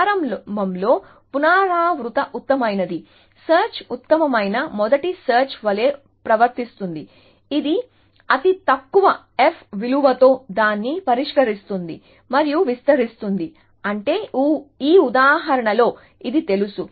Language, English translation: Telugu, So, initially recursive best first search behaves like best first search, that it fix the one with the lowest f value and expands that, which means in this example this know